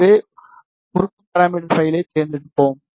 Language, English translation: Tamil, So, we will select the element s parameter file